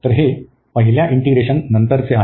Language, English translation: Marathi, So, this is after the first integration